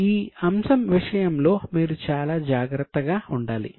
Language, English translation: Telugu, These are the tricky items you should be very careful